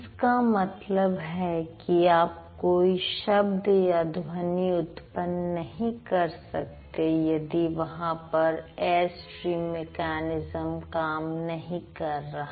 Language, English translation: Hindi, You can't just, you just can't order any sound if the air stream mechanism is not working